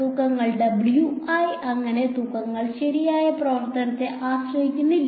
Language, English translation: Malayalam, The weights so, w i the weights do not depend on the function right